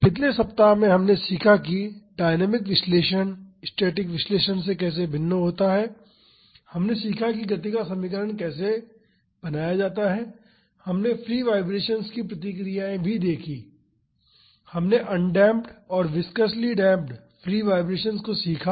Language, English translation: Hindi, In the last week we have learned how dynamic analysis is different from static analysis, we learned how to formulate an equation of motion, we also learnt the responses of free vibrations, we learnt undamped and viscously damped free vibrations